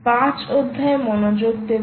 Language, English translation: Bengali, so pay attention to chapter five